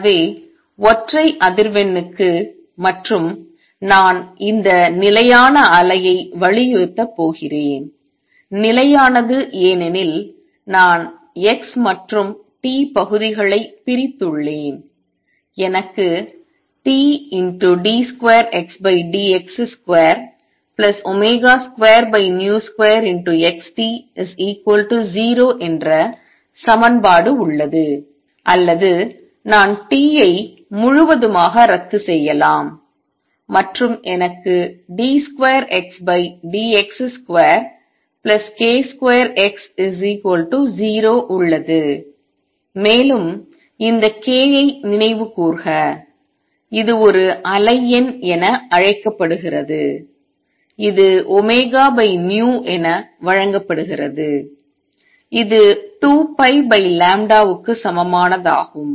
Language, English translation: Tamil, So, for a single frequency and I am going to emphasize this stationary wave; stationary because I have separated the x and t parts; I have the equation T d 2 X by d x square plus omega square over v square T X is equal to 0 or I can cancel T out throughout and I have d 2 X by d x square plus k square X is equal to 0 and we recall this k is which is known as a wave number is given as omega over v which is same thing as 2 pi over lambda